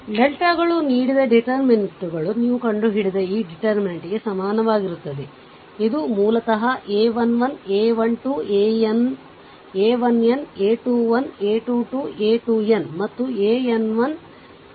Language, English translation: Kannada, Where the deltas are the determinants given by this delta is equal to your this determinant you find out this is a basically it is the a 1 1, a 1 2, a 1 n, a 2 1, a 2 2, a 2 n, and a n 1, a n 2, a n n